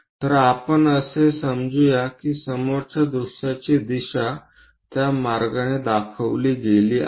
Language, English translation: Marathi, So, here let us assume that front view direction is observed in that way